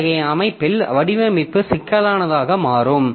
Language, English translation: Tamil, So, designing such a system becomes quite complex